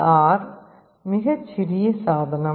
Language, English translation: Tamil, LDR is a very small device